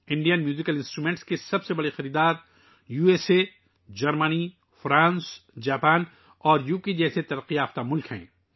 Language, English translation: Urdu, The biggest buyers of Indian Musical Instruments are developed countries like USA, Germany, France, Japan and UK